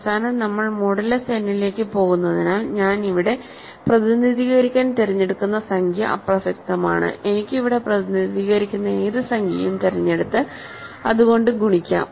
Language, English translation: Malayalam, So, because we are going modulo n at the end what integer I choose to represent here is irrelevant, I can choose any integer that represents here and multiply by that